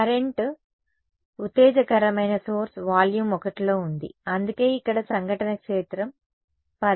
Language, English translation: Telugu, The current the exciting source was in volume 1 which is why there is a incident field term over here, but not over here ok